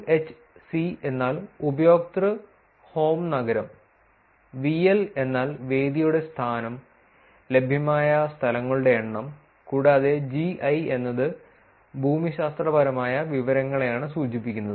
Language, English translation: Malayalam, UHC stands for user home city; VL stands for venue location, the number of venues that are available; and GI stands for geographic information right